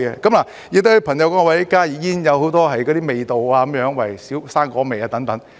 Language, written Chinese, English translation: Cantonese, 此外，有些朋友說加熱煙有很多味道，如水果味等。, Moreover some friends say that HTPs offer a variety of flavours such as fruit flavour